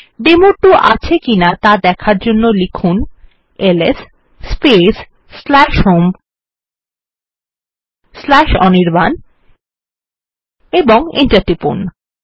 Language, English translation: Bengali, To see that the demo2 is there type ls space /home/anirban and press enter